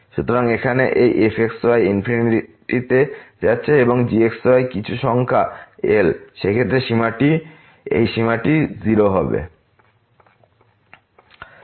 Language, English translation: Bengali, So, here this is going to infinity and is some number , in that case this limit will be 0